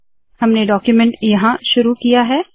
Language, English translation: Hindi, We have begun the document here